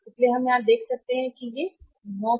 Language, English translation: Hindi, So, we can see here that if it is not 9%